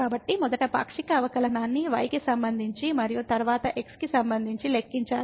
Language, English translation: Telugu, So, one has to first compute the partial derivative with respect to and then with respect to